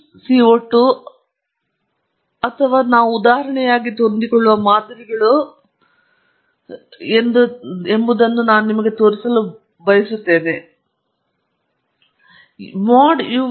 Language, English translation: Kannada, I just also want to show you whether it is a lin CO 2 or the models that we have been fitting for example, mod y k 3 sorry uk uy 3